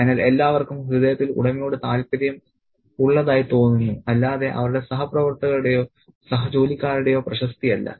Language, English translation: Malayalam, So, everybody seems to have the interest of the owner at heart, but not the reputation of their fellow workers or the colleagues